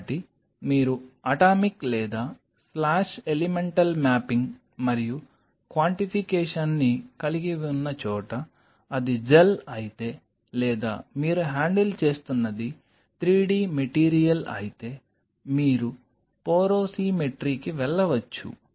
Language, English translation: Telugu, So, where you have the atomic or slash elemental mapping and quantification, then you can go for if it is a gel or if it is 3 d material what you are handling you can go for porosimetry